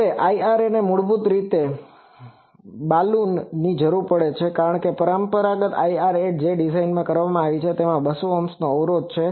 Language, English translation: Gujarati, Now, IRA basically needs a Balun typically, because the conventional IRA that was designed that has an impedance of 200 Ohm